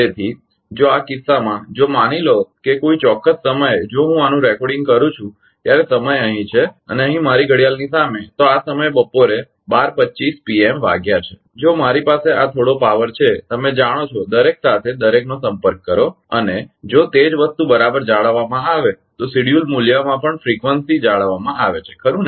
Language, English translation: Gujarati, So, in that case if if suppose at a particular ah time suppose when I am recording this one here time is and in front of my watch, it is 12:25 pm right at this at this at this time if I have this some power you know some contact with every as everything and if the same thing is maintained right then frequency is also maintained in schedule ah value right